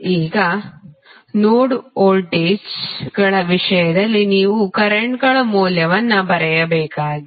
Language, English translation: Kannada, You have to write the values of currents in terms of node voltages